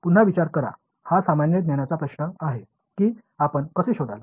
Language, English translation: Marathi, Think over it again this is the common sense question how would you figure out